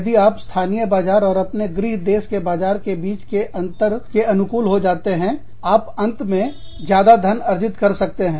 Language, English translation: Hindi, If you adapt to these differences, between the local markets, and the market in your home country, you could end up making, a lot more money